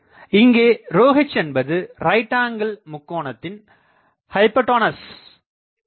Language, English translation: Tamil, So, I can say that this is the rho h is the hypotenuses of this right angle triangle